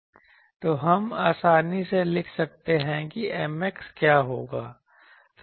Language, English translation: Hindi, So, we can easily write what will be the M x